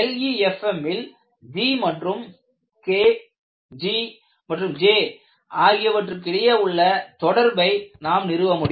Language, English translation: Tamil, In fact, we would establish an interrelationship between G and K and in the case of LEFM, G is same as J